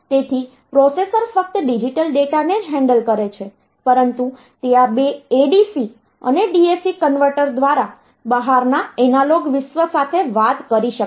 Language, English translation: Gujarati, So, that the processor handles digital data only, but it can talk to the outside analog world through these two ADC and DAC converters